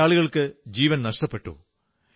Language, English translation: Malayalam, Many people lost their lives